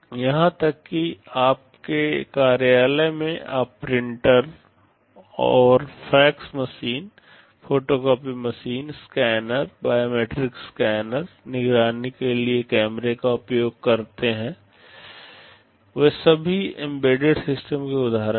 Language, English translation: Hindi, Even in your office you use printers and fax machines, photocopying machines, scanners, biometric scanner, cameras for surveillance, they are all examples of embedded systems